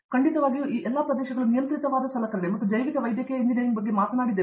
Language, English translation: Kannada, So, definitely yes, all these areas so the controlled an instrumentation and that’s where we talked about bio medical engineering